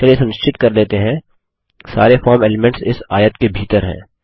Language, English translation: Hindi, Lets make sure, all the form elements are inside this rectangle